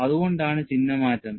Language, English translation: Malayalam, That is why the sign change is there